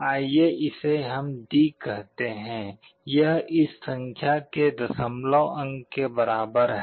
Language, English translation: Hindi, Let us call this as D; it is the decimal equivalent of this number